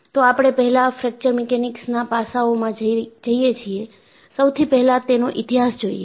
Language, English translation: Gujarati, Before, we get into the aspect of Fracture Mechanics; let us, look at the history